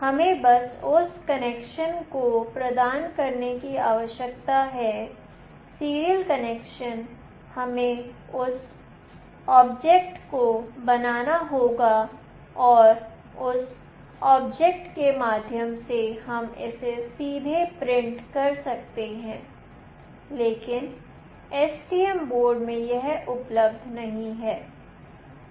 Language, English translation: Hindi, We just need to provide that connection; serial connection we have to create that object and through that object we can directly print it, but in STM board this is not available